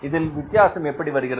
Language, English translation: Tamil, It means what is the difference here